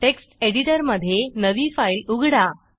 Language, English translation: Marathi, Let us open a new file in the Text Editor